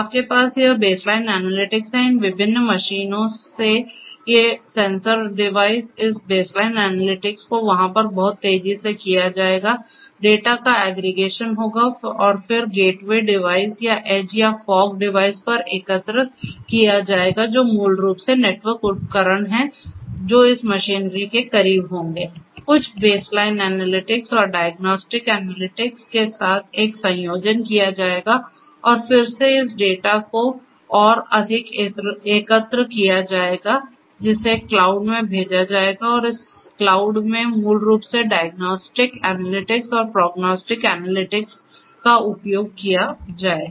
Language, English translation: Hindi, You have this baseline analytics, from these different machines, these sensor devices this baseline analytics will be done over there that will be done very fast data will be aggregated and then at the gateway devices or edge or fog devices which are basically network equipments that are close to this machinery some baseline analytics and a combination with diagnostic analytics will be performed and again this data are going to be further aggregated, sent to the cloud and in this cloud basically diagnostic analytics and prognostic analytics will be performed